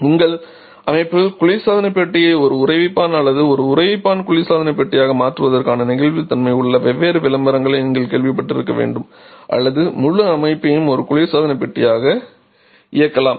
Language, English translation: Tamil, So, we have lots of flexibilities you must have heard different advertisements where your system has the flexibility of converting the refrigerator to a freezer or a freezer to a refrigerator or maybe run the entire system just as a refrigerator